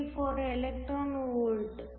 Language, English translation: Kannada, 834 electron volts